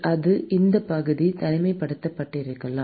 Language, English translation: Tamil, May be that section is insulated